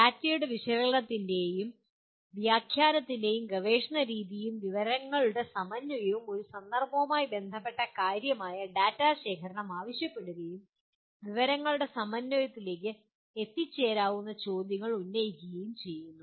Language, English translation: Malayalam, The research method of analysis and interpretation of data and synthesis of information that requires a collection of significant amount of data related to a context and posing questions that can lead to synthesis of information